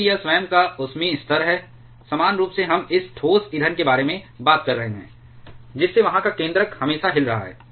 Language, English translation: Hindi, Because of it is own thermal energy level, evenly we are talking about this solid fuel the nucleus there is vibrating always